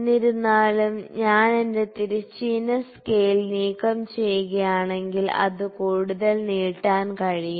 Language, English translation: Malayalam, However, if I remove my horizontal scale it can extend further